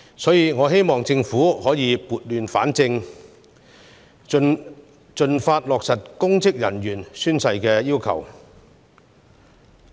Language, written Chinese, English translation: Cantonese, 因此，我希望政府盡快落實公職人員宣誓的要求，以撥亂反正。, Thus I hope that the Government will implement expeditiously the requirement of oath - taking by public officers in order to set things right